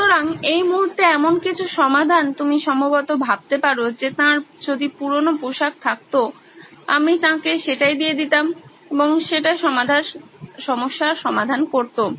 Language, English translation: Bengali, So, some of the solutions that you can probably think of at this moment is that well if he has old clothes, I would just get that and give it to him and that will probably solve the problem